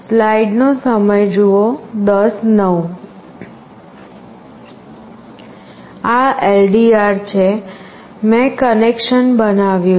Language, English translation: Gujarati, This is the LDR; I have made the connection